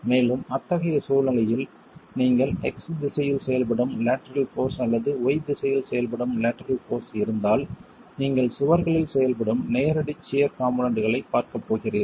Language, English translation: Tamil, And in such a situation, if you have lateral force acting along the X direction or lateral force acting along the Y direction, you are going to be looking at direct shear components acting on the walls themselves